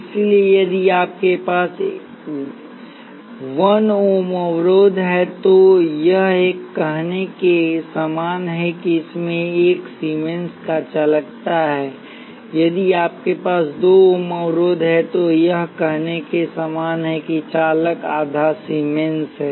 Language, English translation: Hindi, So, if you have a 1 ohm resistor, it is same as saying it has the conductance of 1 Siemens; if you have a 2 ohms resistor, it is the same as saying the conductance is half the Siemens